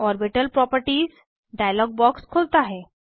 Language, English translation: Hindi, Orbital properties dialog box opens